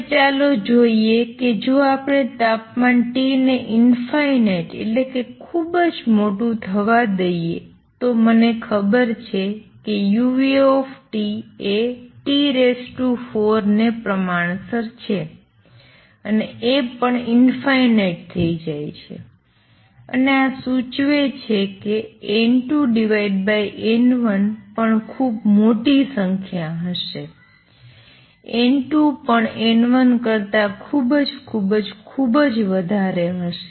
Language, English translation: Gujarati, Now, let us see if we let temperature T go to infinity basically become very large then I know that u nu T is proportional T raise to four and this is also go to infinity and this would imply N 2 over N 1 will go to a very large number N 2 would be much much much greater than N 1